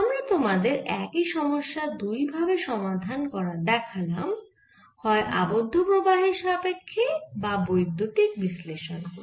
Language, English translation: Bengali, we have given you looking at the same problem, either through the bound current or by electric analysis